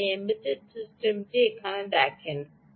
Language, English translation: Bengali, you see this embedded system here